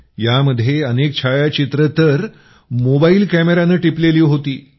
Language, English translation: Marathi, There are many photographs in it which were taken with a mobile camera